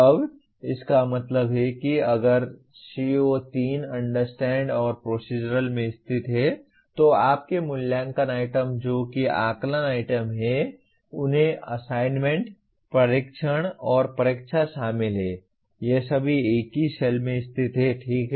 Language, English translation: Hindi, Now that means if CO3 is located in Understand and Procedural your assessment items that is assessment items include assignments, tests, and examination all of them are located in the same cell, okay